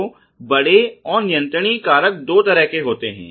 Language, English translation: Hindi, So, by and large the controllable factors are two folds